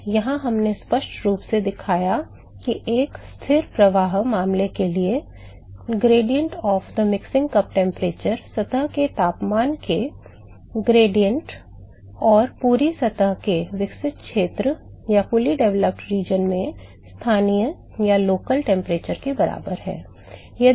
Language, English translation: Hindi, So, there we clearly showed that for a constant flux case, the gradient of the mixing cup temperature is equal to the gradient of the surface temperature and the local temperature in the fully developed region